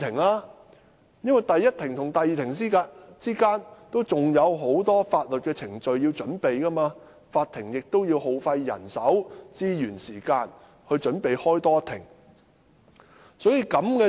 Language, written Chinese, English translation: Cantonese, 律師在第一庭和第二庭之間，仍有很多法律程序需要準備，而法庭亦要耗費人手、資源及時間準備多召開一庭。, Between the first and second hearings the lawyers are required to handle a series of legal procedures and the Court needs to spend manpower resources and time to prepare for the next hearing